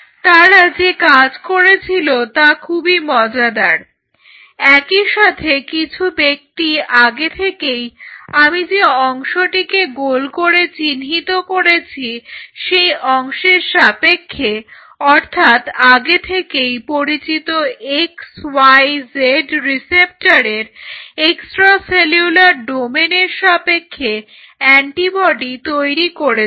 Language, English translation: Bengali, Now, what they did was very interesting parallelly there was some individual who developed earlier than that an antibody against this part, what I am circling antibody against the extra cellular domain of that receptor domain of that x y z receptor this was already known